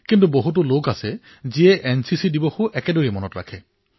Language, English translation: Assamese, But there are many people who, equally keep in mind NCC Day